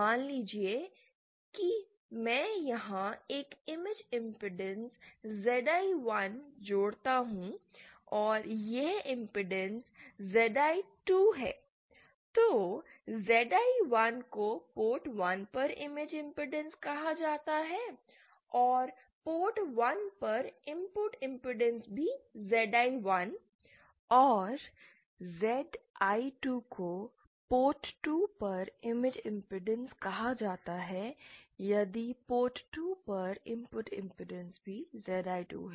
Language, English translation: Hindi, Suppose I connect an impedance ZI1 here and this is the impedance ZI2, then ZI1 is said to be the image impedance at port 1 and the input impedance at the port 1 is also ZI1 and ZI2 is said to be the image impedance at port 2, if the input impedance at port 2 is also ZI2